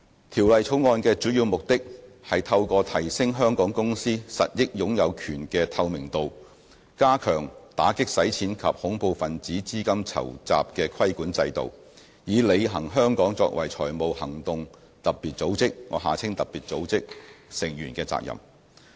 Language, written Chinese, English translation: Cantonese, 《條例草案》的主要目的，是透過提升香港公司實益擁有權的透明度，加強打擊洗錢及恐怖分子資金籌集的規管制度，以履行香港作為財務行動特別組織成員的責任。, The Bill seeks to strengthen the regulatory regime for combating money laundering and terrorist financing by enhancing the transparency of beneficial ownership of Hong Kong companies thereby fulfilling Hong Kongs obligations under the Financial Action Task Force FATF